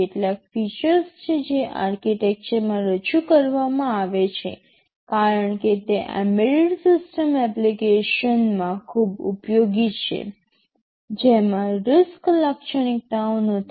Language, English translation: Gujarati, ;T there are some features which that have been introduced in the architecture because they are very useful in embedded system applications, which are not RISC characteristics